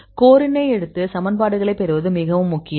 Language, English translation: Tamil, So, it is very important to take the core and derive equations